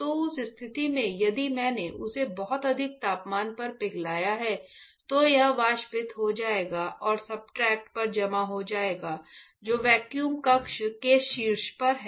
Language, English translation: Hindi, So, in that case if I have melt it very high temperature, it will be evaporated and deposited on the substrate which is at the top of the vacuum chamber